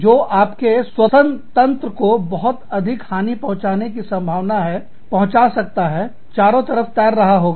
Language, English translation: Hindi, That can likely, very likely, damage your respiratory system, would be floating around